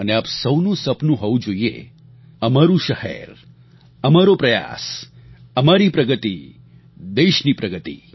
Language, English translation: Gujarati, And all of you must have a dream 'Our city our efforts', 'Our progress country's progress'